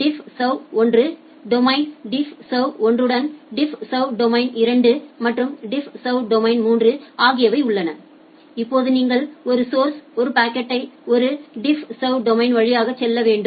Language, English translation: Tamil, You have multiple DiffServ domains DiffServ 1, domain DiffServ domain 1, DiffServ domain 2 and DiffServ domain 3, now whenever you are transferring a packet from a source to a destination it need to go through these three DiffServ domains